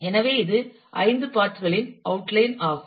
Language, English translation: Tamil, So, this is the outline the 5 parts